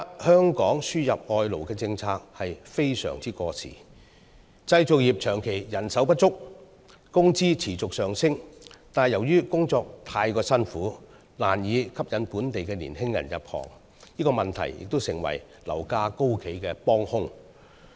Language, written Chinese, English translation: Cantonese, 香港現時輸入外勞的政策相當過時，建造業長期人手不足，工資持續上升，但由於工作太辛苦，難以吸引本地年青人入行，這問題亦成為樓價高企的幫兇。, Hong Kongs current policy on labour importation is quite outdated . Despite a persistent shortage of labour and a constant wage growth the construction industry can hardly attract local young recruits thanks to the exceedingly tough working conditions . This problem has also played a part in fuelling the property price hike